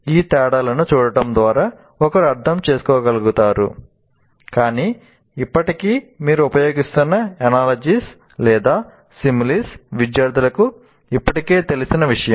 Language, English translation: Telugu, So by looking at these differences, one will be able to understand, but still the analogy or the simile that you are using is something that students are already familiar with